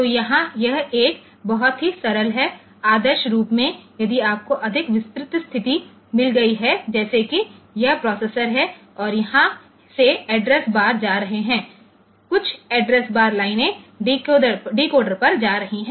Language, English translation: Hindi, So, here it is a very simplistic one, ideally, if you have got a more detailed situation like if this is the processor and from here, the address bars is going some of the address bars lines are going to the decoder